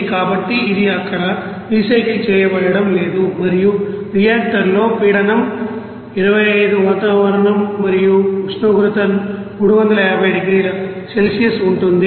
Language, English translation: Telugu, So, it is not being recycled there, and in the reactor the pressure will be you know 25 atmosphere and temperature will be 350 degrees Celsius